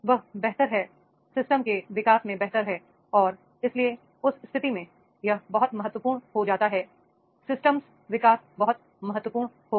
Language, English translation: Hindi, He is more better, better in the development of the systems and therefore in that case it becomes very very important that is the system development will be there